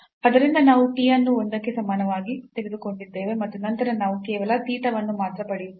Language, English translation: Kannada, So, we have taken the t is equal to one and then we get here just only theta